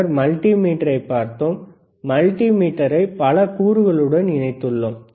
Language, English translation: Tamil, Then we have seen multimeter, we have connected multimeter to several components